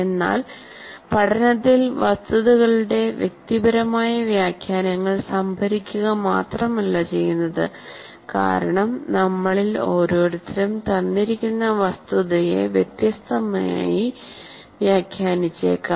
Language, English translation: Malayalam, But learning involves not just storing personal interpretations of facts because each one of us may interpret a particular fact completely differently